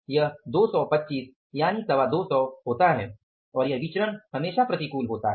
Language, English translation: Hindi, 25 so how much it works out as 225 and this variance is always adverse